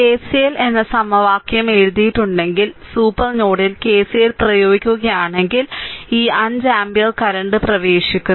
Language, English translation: Malayalam, So, if you if you write down the equation KCL, if you apply KCL at the supernode, right, then this 5 ampere current is entering